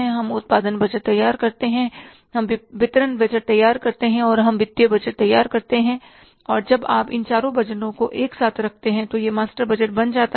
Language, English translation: Hindi, So, these are the sub budgets, sales budget, production budget, distribution budget and finance budget, again putting them together, it becomes the master budget